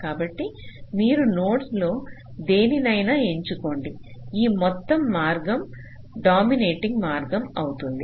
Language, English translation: Telugu, so you pick any of the nodes, this entire path will be a dominating path